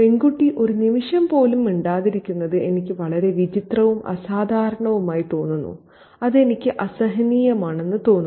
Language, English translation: Malayalam, Seeing the girl mute even for an instant seems so odd and unusual to me that I find it unbearable